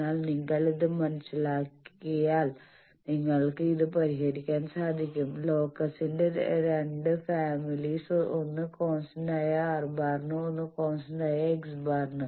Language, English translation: Malayalam, But if you understand then you will unravel this; Two families of locus one for constant R bar, one for constant X bar